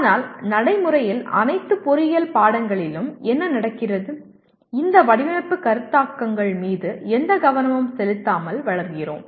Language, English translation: Tamil, But what happens in practically all the engineering subjects, we grow with these design concepts without almost paying any attention to them